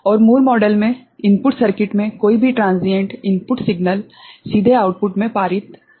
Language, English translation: Hindi, And in Moore model, any transients in the input circuit is not input signal, is not passed to the output directly